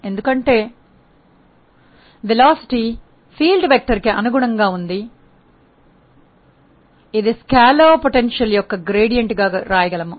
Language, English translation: Telugu, Because, the velocity because the field vector field is conservative we could write it as a gradient of a scalar potential